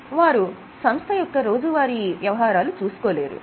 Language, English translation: Telugu, So, they cannot manage day to day affairs